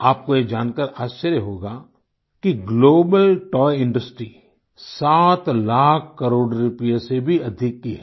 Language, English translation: Hindi, You will be surprised to know that the Global Toy Industry is of more than 7 lakh crore rupees